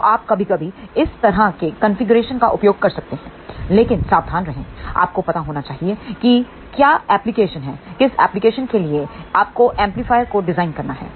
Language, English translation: Hindi, So, you can use sometimes these kind of a configuration, but be careful you should know what is the application for which application, you have to design the amplifier